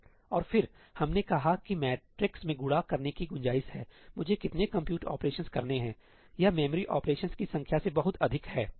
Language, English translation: Hindi, And then we said that in matrix multiply there seems to be scope, the number of compute operations I have to do is much more than the number of memory ops